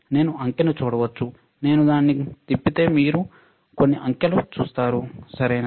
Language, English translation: Telugu, You can see digit, you if I turn it on you will see some digit, right